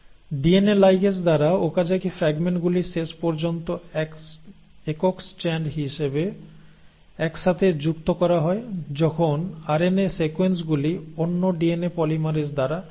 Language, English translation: Bengali, The Okazaki fragments are finally stitched together as a single strand by the DNA ligase while the RNA sequences are removed by another DNA polymerase